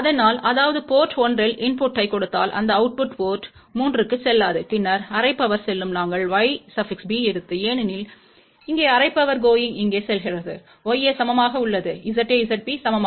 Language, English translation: Tamil, So; that means, if we give a input at port 1, no output goes to port 3 and then half power goes here, half power goes here because we have taken Y b equal to Y a or Z a equal to Z b